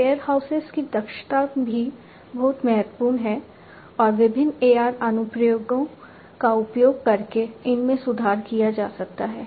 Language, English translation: Hindi, The efficiency of warehouses is also very important and these can be improved using different AR applications